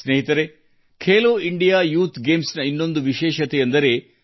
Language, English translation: Kannada, Friends, there has been another special feature of Khelo India Youth Games